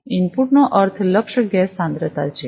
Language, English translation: Gujarati, Input means the target gas concentration